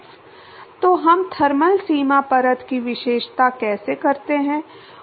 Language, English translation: Hindi, So, how do we characterize thermal boundary layer